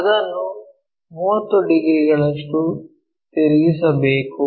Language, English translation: Kannada, So, we just have to rotate this by 30 degrees